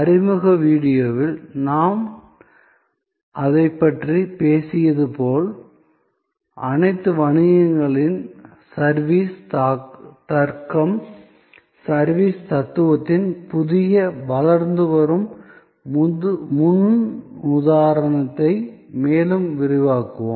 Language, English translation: Tamil, As I have talked about that in the introduction video, we will expand more on that new emerging paradigm of the service logic, service philosophy of all businesses